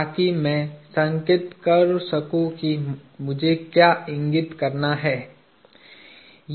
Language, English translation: Hindi, So, I can indicate what I need to indicate